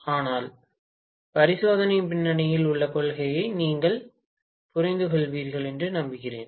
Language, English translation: Tamil, But I hope you understand the principle behind the experiment